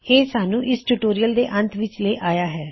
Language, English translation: Punjabi, This brings us to end of this tutorial